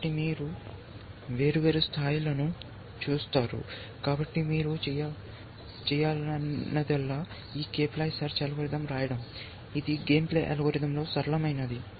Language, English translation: Telugu, So, as it goes along, you are looking at different, so all that remains to do is to write this k ply search algorithm that is the simplest of game playing algorithms